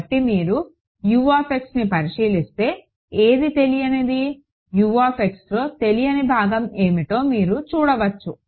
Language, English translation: Telugu, So, you can see U x what is unknown in U x which is the unknown part in U x